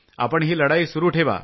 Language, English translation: Marathi, Keep on fighting